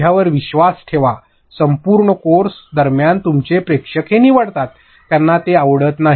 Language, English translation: Marathi, Throughout the entire course and believe me your audience picks it, they do not like it